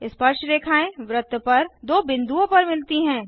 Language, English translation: Hindi, Tangents meet at two points on the circle